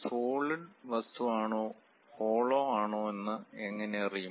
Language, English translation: Malayalam, How to know, whether it is a solid object or a hollow one